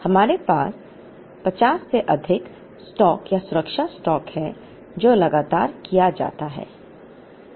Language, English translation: Hindi, We have an excess stock or safety stock of 50, which is continuously carried